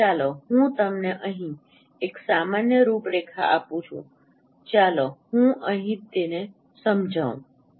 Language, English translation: Gujarati, So, let me give you a general outline first here